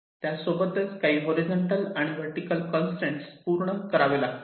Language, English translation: Marathi, there can be some horizontal and vertical constraints that must be met